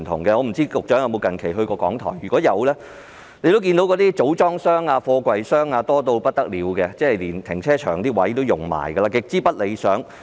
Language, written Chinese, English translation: Cantonese, 我不知道局長近期有否去過港台，如果有，他應該看到那些組裝箱、貨櫃箱多到不得了，連停車場的位置也佔用，情況極之不理想。, I wonder whether the Secretary has visited RTHK recently . If he has he should have observed that there are so many storage boxes and containers that even space of the car park is occupied . The situation is extremely undesirable